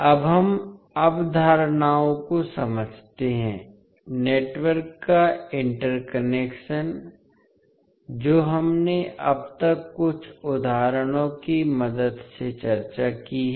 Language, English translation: Hindi, Now, let us understand the concepts, the interconnection of the network which we discussed till now with the help of few examples